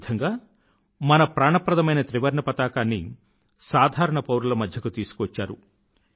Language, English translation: Telugu, Thus, he brought our beloved tricolor closer to the commonman